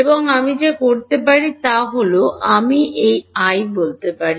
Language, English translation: Bengali, And what I can do is I can call this E y